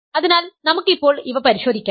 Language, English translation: Malayalam, So, let us check these things now